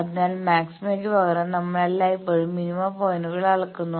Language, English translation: Malayalam, So, that is why instead of maxima we always measure the minima points